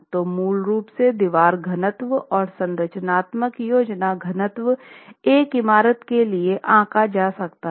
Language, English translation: Hindi, So, basically wall density, structural plan density can be worked out floor wise and can be worked out for a building